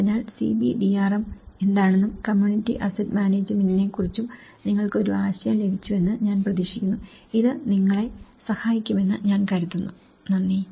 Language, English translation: Malayalam, So, I hope you got about an idea of what is CBDRM and the community asset management, I think this will help you, thank you